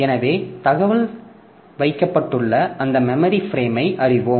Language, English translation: Tamil, So, we know which memory frame for that where is the information kept